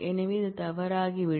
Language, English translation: Tamil, So, that will become wrong